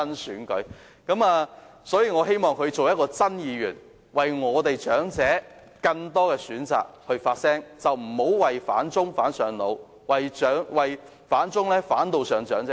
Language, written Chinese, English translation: Cantonese, 我倒希望他成為"真議員"，可以為了令長者有更多選擇而發聲，不要"反中上腦"，為了反中而禍及長者。, Yet I hope he will turn into a genuine Member who voice for more choices for elderly persons rather than becoming so obsessed with his anti - China stance and sacrificing the interests of elderly persons for this